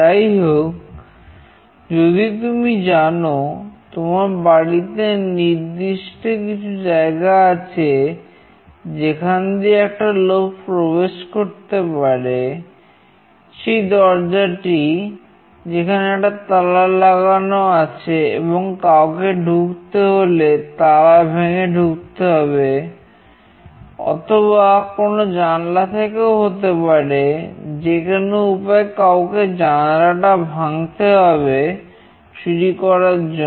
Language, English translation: Bengali, Any way if you know that there are certain points in your house through which a person can enter; the door there is a lock and someone has to break that lock and have to enter, or it can be from some windows anyway you have to break that window